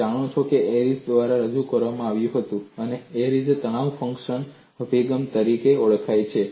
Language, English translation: Gujarati, You know this was introduced by Airy and this is known as Airy's stress function approach